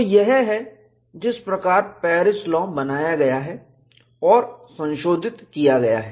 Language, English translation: Hindi, So, this is how Paris law is modeled, modified